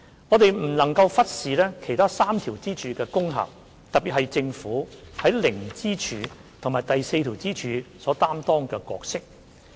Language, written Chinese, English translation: Cantonese, 我們不能忽視其他3條支柱的功效，特別是政府在零支柱和第四支柱下所擔當的角色。, We should not ignore the effects of the other three pillars particularly the roles played by the Government under the zero pillar and the fourth pillar